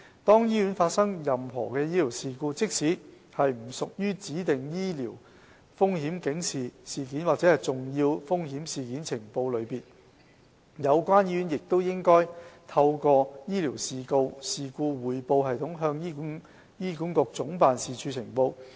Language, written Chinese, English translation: Cantonese, 當醫院發生任何醫療事故，即使不屬於指定的醫療風險警示事件或重要風險事件呈報類別，有關醫院亦應透過醫療事故匯報系統向醫管局總辦事處呈報。, In case of any medical incidents the hospitals concerned should report the incidents including those outside the scope of specified sentinel and serious untoward events to be reported to HA Head Office via the AIRS